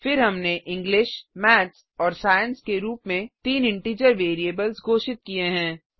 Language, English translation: Hindi, Then we have declared three integer variables as english, maths and science